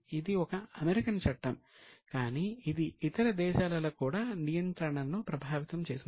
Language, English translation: Telugu, It's an American law but it has affected regulation in other countries also